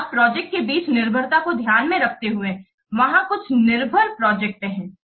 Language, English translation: Hindi, So, taking account of dependencies between projects, there are some projects they are dependent